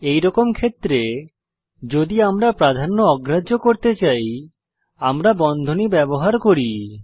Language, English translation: Bengali, In such situations, if we need to override the precedence, we use parentheses